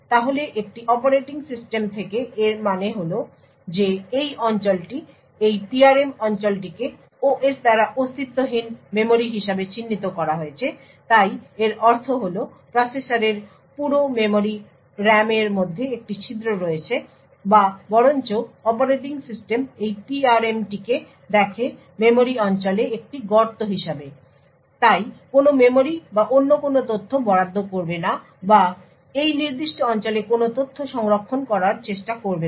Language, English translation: Bengali, So what this means from an operating system is that this region the PRM region is identified by the OS as non existent memory so it means that there is a hole in the entire memory RAM’s of the processor or rather the operating system sees this PRM as a hole in the memory region and therefore would not allocate any memory or any other data or try to store any data in this particular region